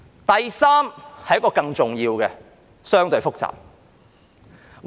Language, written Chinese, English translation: Cantonese, 第三是更重要和相對複雜的。, The third reason is more important and relatively complicated